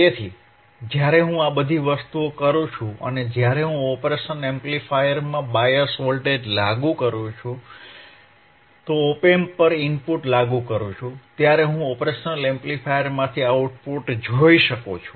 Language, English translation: Gujarati, So, when I do all these things, when I apply bias voltage across operation amplifier, apply the input at the op amp, I will be able to see the output from the operation amplifier is what we will do today